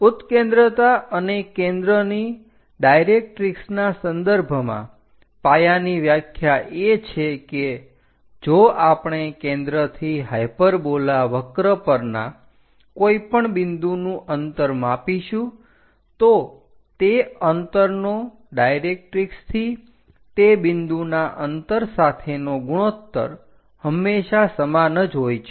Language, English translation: Gujarati, The basic definition of this eccentricity and focus from the directrix is, from focus if we are going to measure any point on that curve hyperbola that distance to the distance of that point to the directrix always be equal to the same number